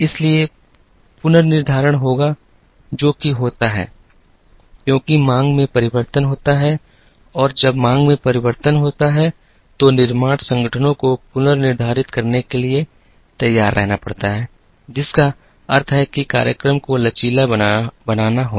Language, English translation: Hindi, So, there will be rescheduling that happens, because of demand changes and when demand changes, the manufacturing organizations have to be prepared to do the reschedule which means that, the schedules have to be made flexible